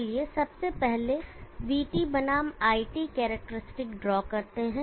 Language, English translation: Hindi, Let me first draw the VT versus IT characteristic